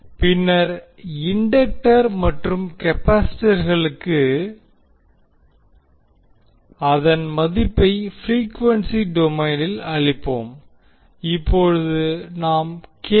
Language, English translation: Tamil, And then we will put the value of the inductors and capacitor, in frequency domain